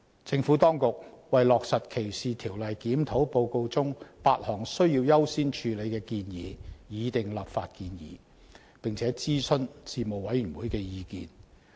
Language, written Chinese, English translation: Cantonese, 政府當局為落實歧視條例檢討報告中8項需要優先處理的建議擬訂立法建議，並徵詢事務委員會的意見。, The Government consulted the Panel on the legislative proposals which sought to implement eight recommendations of priority set out in the report on the Discrimination Law Review DLR for its views